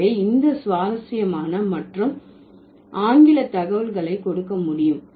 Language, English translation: Tamil, So, this is interesting and we can give you English data for this